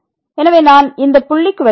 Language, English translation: Tamil, So, let me just come to this point